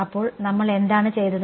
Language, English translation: Malayalam, So, what did we do